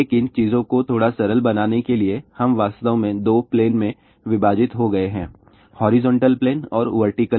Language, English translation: Hindi, But just to make things little simpler , we have actually divided into two plane horizontal plane and vertical plane